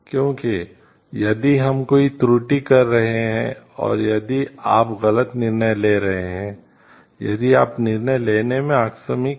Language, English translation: Hindi, Because if we are committing an error and if you are taking a wrong decision, the if you are casual in a decision making